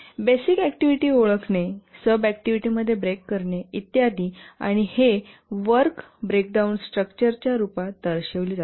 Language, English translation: Marathi, So basically identify the activities, break the activities into sub activities and so on and this is represented in the form of a work breakdown structure